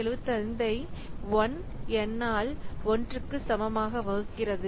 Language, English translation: Tamil, 75 divided by 1